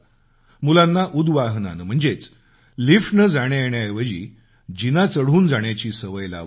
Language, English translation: Marathi, The children can be made to take the stairs instead of taking the lift